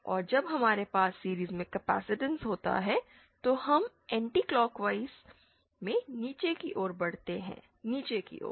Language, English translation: Hindi, And when we have a capacitance in series, we move in anticlockwise downwards, direction downwards